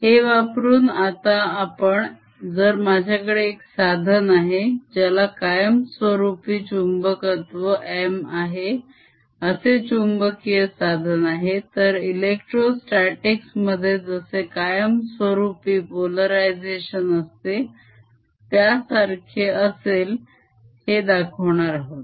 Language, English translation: Marathi, using this now we're going to show if i have a material, magnetic material, which has a permanent magnetization capital, m, something similar to the permanent polarization in the electrostatic case, so that m actually represents magnetic moment per unit volume